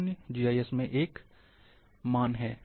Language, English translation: Hindi, 0 is a value in GIS